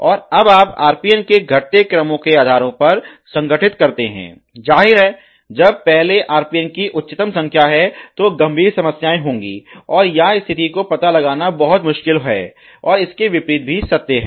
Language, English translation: Hindi, And now you organize on the bases of increase decrease order of the RPN, obviously the first RPN which is highest numbers would have a very high occurrence very severe problems, and very difficult detect to situation or vice versa